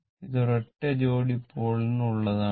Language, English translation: Malayalam, So, it is one pair of pole